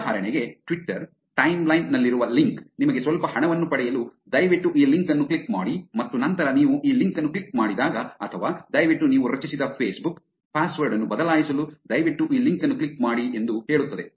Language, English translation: Kannada, For example, a link on to the Twitter timeline will tell you that please click on this link to get some money and then when you click on this link or please click on this link to change the Facebook password that you have created, there was some problem in your access with Facebook; click on this link to update the password